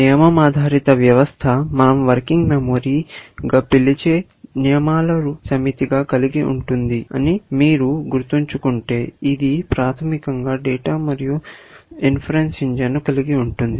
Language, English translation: Telugu, If you remember that a rule based system, consists of set of rules what we call as a working memory, which basically, holds the data and an inference engine